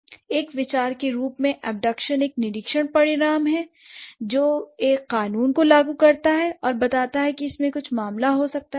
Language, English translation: Hindi, So the abduction as an idea it comes from an observed result which invokes a law and infers that something may be the case